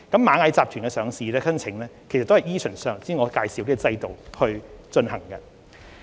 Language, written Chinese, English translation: Cantonese, 螞蟻集團的上市申請同樣依循上述制度進行。, The listing application of Ant Group was also processed in accordance with the above mentioned mechanism